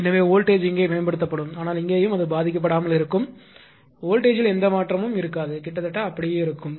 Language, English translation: Tamil, So, voltage will be improved here, but here and here it will remain unaffected right there will be no change in voltage almost it will remain same